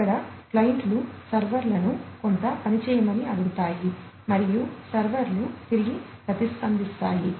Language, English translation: Telugu, Here, also the clients ask the servers to do certain work and the servers respond back